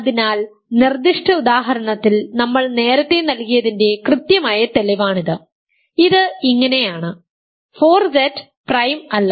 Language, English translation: Malayalam, So, this is exactly the proof that we gave earlier in the specific example this is what it looks like, 4Z is not prime